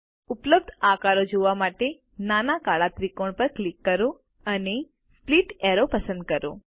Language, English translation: Gujarati, Click on the small black triangle to see the available shapes and select Split Arrow